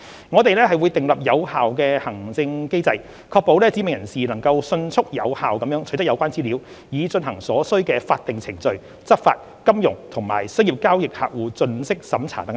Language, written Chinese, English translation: Cantonese, 我們會訂立有效的行政機制，確保"指明人士"能迅速有效取得有關資料，以進行所需的法定程序、執法、金融及商業交易客戶盡職審查等工作。, An effective administrative mechanism will be devised to ensure that specified persons can have prompt and effective access to relevant information for conducting the necessary statutory procedures law enforcement actions and customer due diligence for financial and commercial transactions